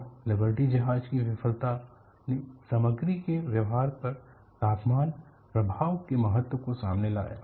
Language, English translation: Hindi, And Liberty ship failure brought out the importance of temperature effect on material behavior